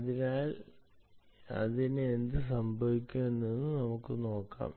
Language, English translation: Malayalam, so lets see what happens to this